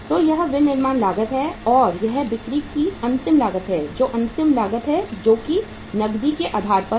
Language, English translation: Hindi, So this is the manufacturing cost and this is the say cost of sales, final cost which is on the cash basis